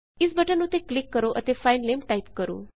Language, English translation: Punjabi, Just click on it and type the file name